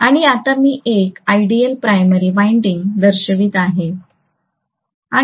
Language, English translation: Marathi, And now I will show the primary winding as an ideal primary winding, right